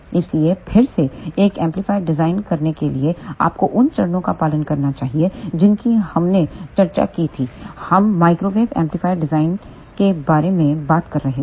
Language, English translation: Hindi, So, again to design an amplifier you must follow the steps which we had discussed when we were talking about microwave amplifier design